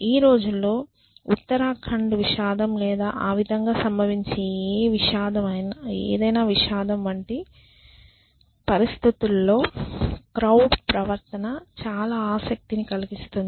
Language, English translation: Telugu, And nowadays of course, crowd behavior is of great interest specially in situations like you know this Uttarakhand tragedy or any tragedy that befalls upon this